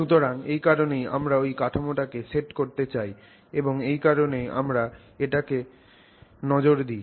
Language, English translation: Bengali, So, that is why we would like to set that framework and that's the reason why we will look at it